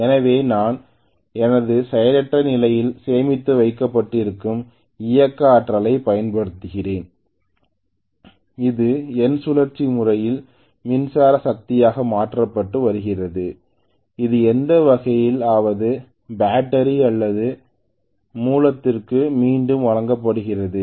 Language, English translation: Tamil, So I am essentially using the kinetic energy stored in my inertia, in my rotational system that is being converted into electrical energy and that is being fed back to the battery or the source in whatever way it is